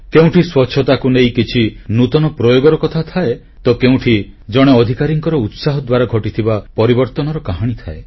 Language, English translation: Odia, Sometimes there is a story of an innovation to bring about cleanliness or winds of change that get ushered due to an official's zeal